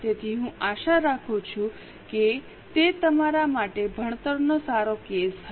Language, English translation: Gujarati, So, I hope it was a good learning case for you